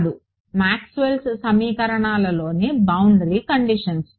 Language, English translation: Telugu, No the boundary conditions in Maxwell’s equations